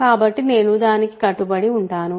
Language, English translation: Telugu, So, I am going to stick to that